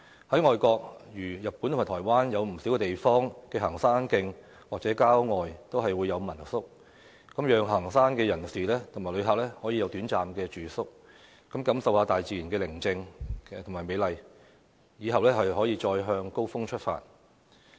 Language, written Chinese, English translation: Cantonese, 在外地，如日本和台灣，有不少地方的行山徑或郊外都會有民宿，讓行山人士及旅客有短暫住宿，感受大自然的寧靜和美麗，之後再向高峰出發。, In foreign countries such as Japan and Taiwan there are homestay lodgings along the hiking trails or in the suburbs of many places . Hikers and visitors can enjoy a short stay to experience the serenity and beauty of nature before heading for a more challenging trail